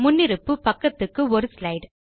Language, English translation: Tamil, By default, it prints 1 slide per page